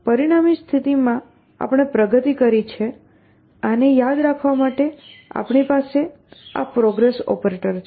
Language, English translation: Gujarati, In the resulting state that we have progressed to remember this, we have this progress operator